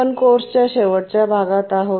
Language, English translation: Marathi, We are almost at the end of the course